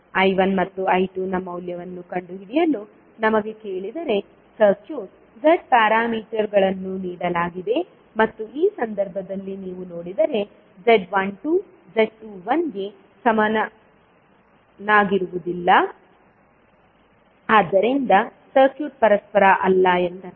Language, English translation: Kannada, Suppose, if we are asked to find out the value of I1 and I2, the circuit, the Z parameters are given Z11, Z12, Z21, Z22, if you see in this case Z12 is not equal to Z21, so that means the circuit is not reciprocal